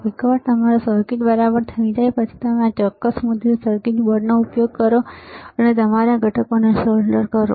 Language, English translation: Gujarati, Once your circuit is ok, then you use this particular printed circuit board and solder your components, right